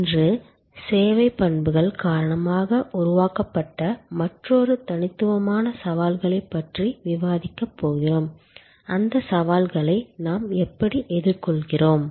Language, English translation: Tamil, Today, we are going to discuss another set of unique challenges created due to service characteristics and how we address those challenges